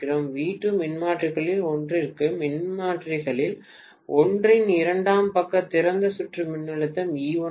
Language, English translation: Tamil, V2, for one of the transformer, the secondary side open circuit voltage for one of the transformers is E1